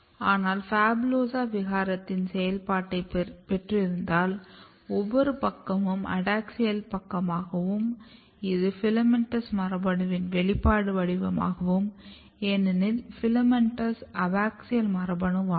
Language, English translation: Tamil, But if you have gain of function mutant of phabulosa, basically what happens the gain of function mutant of PHABULOSA means every side is adaxial sides and this if you look the expression pattern of now FILAMENTOUS gene because FILAMENTOUS is abaxial